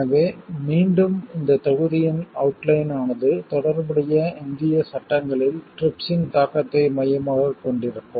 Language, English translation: Tamil, So, again the outline of this module will focus on impact of TRIPS on relevant Indian legislation